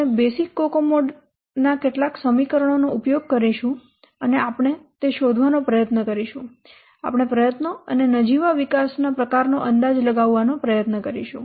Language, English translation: Gujarati, We will use some of the equations of the basic kukoma and we will try to find out, we'll try to estimate the effort and the nominal development time